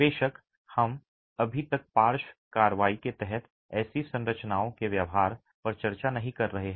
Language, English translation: Hindi, Of course, we are not yet discussing the behaviour of such structures under lateral action